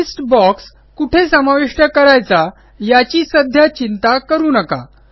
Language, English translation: Marathi, Do not worry about the placement of the list box now